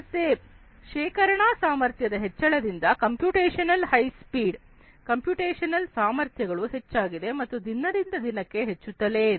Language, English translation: Kannada, So, storage capacities have increased computational high speed computational capacities have increased and they are increasing even more day by day